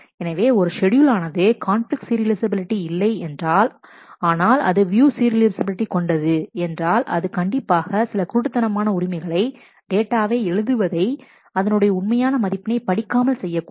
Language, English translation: Tamil, So, if a schedule is not conflict serializable, but is view serializable it must have performed some blind rights where it has written data without actually reading it